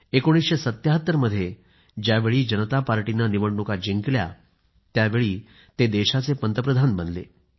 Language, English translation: Marathi, But when the Janata Party won the general elections in 1977, he became the Prime Minister of the country